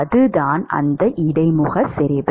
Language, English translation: Tamil, That is what that interface concentration is